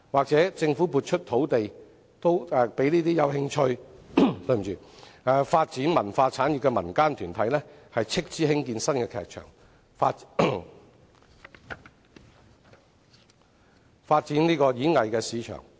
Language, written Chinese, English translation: Cantonese, 政府亦可撥出土地給有興趣發展文化產業的民間團體斥資興建新劇場，以發展演藝市場。, The Government can also allocate some land to those community groups interested in developing cultural industries to construct new theatres on their own expenses in order to develop the performing arts market